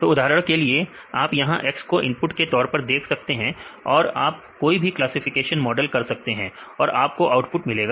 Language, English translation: Hindi, So, for example, you can see this X is your input and you do any classification model and finally, you get the output